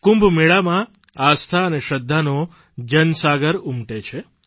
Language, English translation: Gujarati, In the Kumbh Mela, there is a tidal upsurge of faith and reverence